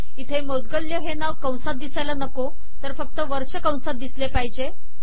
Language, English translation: Marathi, Here the name Moudgalya should not come in the brackets, only the year should come in the brackets